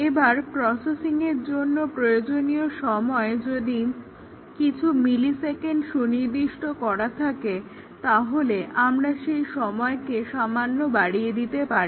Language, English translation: Bengali, The processing time; if the processing time is required to be of few millisecond, we might give slightly more than that, utilization of the memory, etcetera